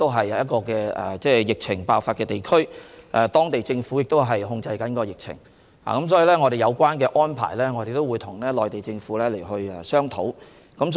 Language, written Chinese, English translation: Cantonese, 此外，湖北屬疫情爆發的地區，當地政府正在控制疫情，所以我們會就有關安排與內地政府商討。, Furthermore Hubei is an area affected by the virus outbreak and the local government is trying to contain the epidemic . Thus we will discuss the relevant arrangement with the Mainland Government